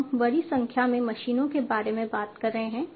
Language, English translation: Hindi, So, we are talking about large number of machines